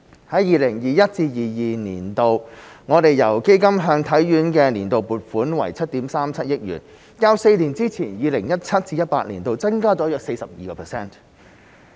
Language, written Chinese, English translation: Cantonese, 在 2021-2022 年度，我們由基金向體院的年度撥款為7億 3,700 萬元，較4年之前、2017-2018 年度增加了約 42%。, In 2021 - 2022 the Governments annual funding for HKSI through the Fund amounted to 737 million representing an increase of about 42 % over the amount from 2017 - 2018 four years ago